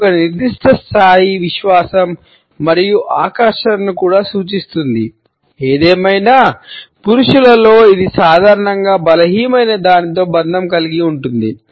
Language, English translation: Telugu, It also suggest a certain level of confidence and attractiveness; however, in men it is normally associated with something effeminate